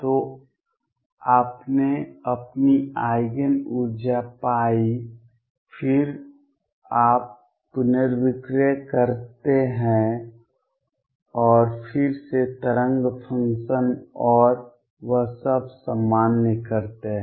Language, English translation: Hindi, So, you found your Eigen energy then you rescale and again normalize the wave function and all that